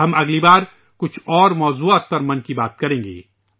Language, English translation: Urdu, Next time, we will discuss some more topics in 'Mann Ki Baat'